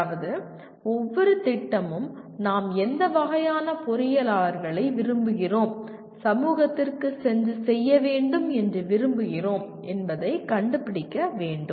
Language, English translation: Tamil, That means each program will have to introspect and find out what kind of engineers we want to, we want them to be and go and serve the society